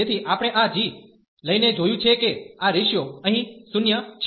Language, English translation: Gujarati, So, we have seen by taking this g that this ratio here is 0